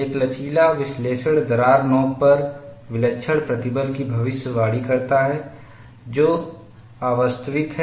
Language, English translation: Hindi, An elastic analysis predicts singular stresses at the crack tip, which is unrealistic